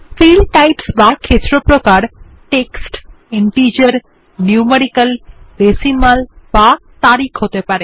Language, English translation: Bengali, Field types can be text, integer, numeric, decimal or date